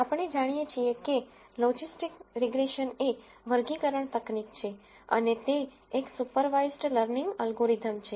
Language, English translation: Gujarati, We know that logistic regression is a classification technique and it is a supervised learning algorithm